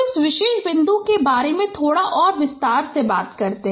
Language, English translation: Hindi, So just a little more elaborations about this particular point